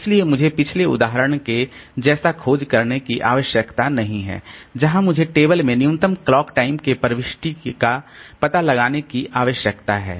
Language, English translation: Hindi, So as a result so I don't need to search unlike the previous example where I need to search through the table to find out the entry with minimum clock time